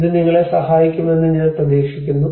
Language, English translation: Malayalam, I hope this helps you